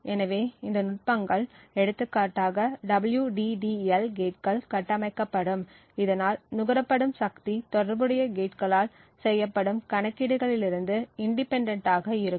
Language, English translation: Tamil, So, these techniques for example the WDDL gates would are built in such a way so that the power consumed is independent of the computations that are performed by the corresponding gates